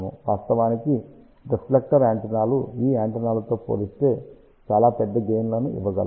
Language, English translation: Telugu, In fact, reflector antennas can give much larger gain then any of these antennas